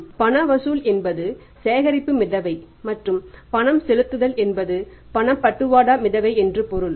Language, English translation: Tamil, So, cash collection means a collection float and the payment means a disbursement flow